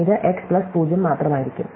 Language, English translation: Malayalam, So, this will just be x+0